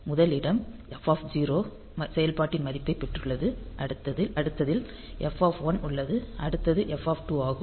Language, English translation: Tamil, The first location has got the value of function f 0, then the next one is at f 1, next one is that f 2; like that